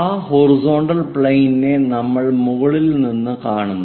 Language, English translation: Malayalam, On that horizontal plane from top side we are viewing